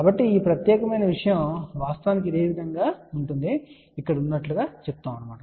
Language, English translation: Telugu, So, this particular thing is actually same as this which is same as this over here